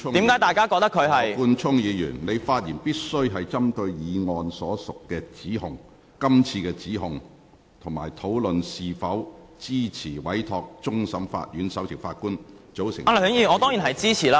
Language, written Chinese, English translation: Cantonese, 羅冠聰議員，你的發言必須針對這項議案所述的指控，以及討論是否支持委托終審法院首席法官組成調查委員會。, Mr Nathan LAW you should focus on the charges made in this motion and discuss whether you support this Council to give a mandate to the Chief Justice of the Court of Final Appeal to form an investigation committee